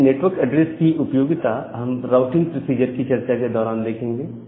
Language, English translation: Hindi, So, the utility of this network address we look into that when we discuss about this routing procedure